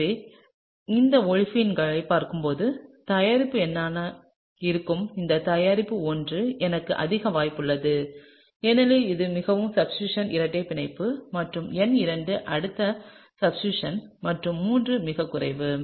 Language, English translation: Tamil, So, therefore, looking at the these olefins it’s quite likely, that this product that is product number I has more possibility of happening because it’s a more substituted double bond and number II is the next in terms of the substitution and III is the least